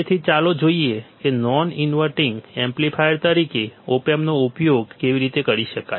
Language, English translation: Gujarati, So, Let us see how op amp can be used as a non inverting amplifier